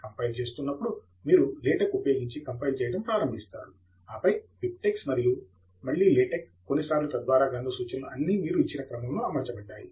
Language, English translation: Telugu, So you will start off by compiling with LaTeX, and then BibTeX, and then again LaTeX couple of times, so that the bibliographic references are all set in the sequence that you have given